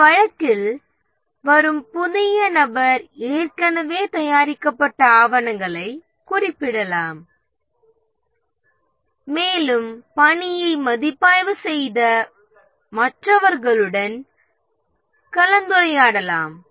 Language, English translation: Tamil, In this case, the new person who comes might refer to the documents already prepared and also discuss with others who have reviewed the work